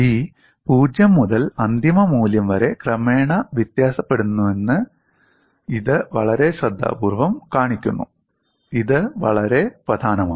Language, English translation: Malayalam, It is very carefully shown that P varies gradually from 0 to the final value, this is very important